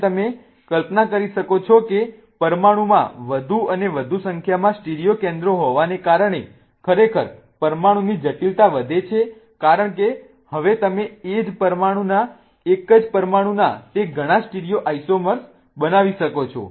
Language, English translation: Gujarati, Okay, so as you can imagine having more and more number of stereo centers in the molecule really increases the complexity of the molecule because now you can create those many stereoisomers of the same molecule